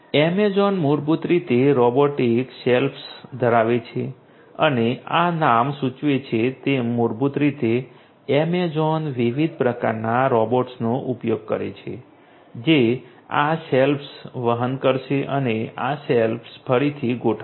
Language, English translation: Gujarati, Amazon basically has the robotic shelves and as this name suggests basically Amazon uses different types of robots that will carry this shelves and rearrange this shelves